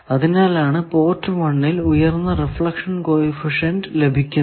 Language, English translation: Malayalam, Similarly in port 2 you connect high reflection coefficient